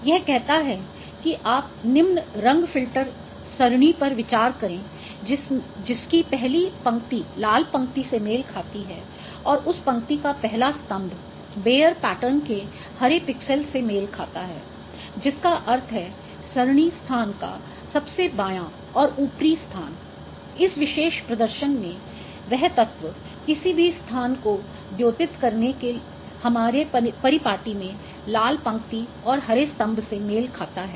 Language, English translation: Hindi, So it says that you consider the following color filter array whose first row corresponds to the red row and first column of that row corresponds to a green pixel of the bar pattern which means the left most and topmost position of the array location in this particular display that element corresponds to red row and green column in our convention of denoting any location